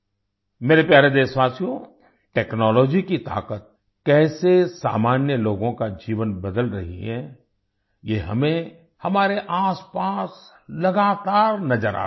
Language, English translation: Hindi, My dear countrymen, how the power of technology is changing the lives of ordinary people, we are constantly seeing this around us